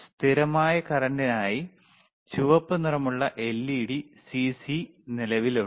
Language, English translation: Malayalam, For cconstant current, red colour right ledLED CC is present